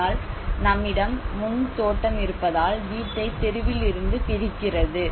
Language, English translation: Tamil, But because of we have the front garden which is detaching the house from the street